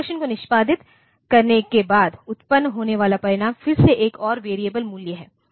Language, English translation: Hindi, After executing the instruction, the result that is produced is again another variable value